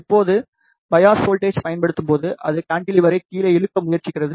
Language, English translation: Tamil, Now, when the bias voltage is applied it tries to pull down the cantilever